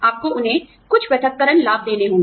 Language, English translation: Hindi, You have to give them, some separation benefits